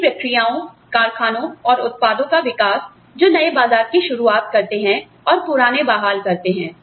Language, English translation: Hindi, Development of new processes, plants and products, that open new markets, and restore old ones